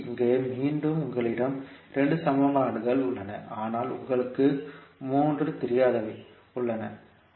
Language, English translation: Tamil, So here again, you have 2 equations, but you have 3 unknowns